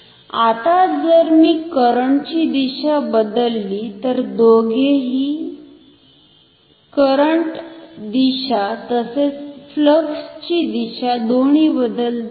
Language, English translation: Marathi, Now, if I change the direction of the current, then both the direction of the current as well as the direction of flux will change